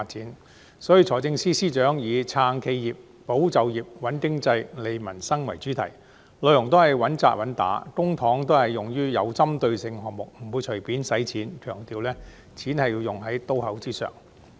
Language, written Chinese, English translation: Cantonese, 有見及此，財政司司長以"撐企業、保就業、穩經濟、利民生"為主題，內容都是穩打穩扎，公帑都是用得其所，不會隨便花錢，強調錢是要用於刀口上。, Therefore the Financial Secretary has revolved around the theme of supporting enterprises safeguarding jobs stabilizing the economy strengthening livelihoods rolled out practical and effective measures put public money to proper use refrained from spending money casually and ensured the money goes to the right place